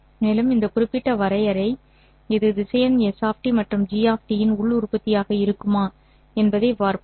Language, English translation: Tamil, And now let us see whether this particular definition, this would be the inner product of the vector S of T and G of T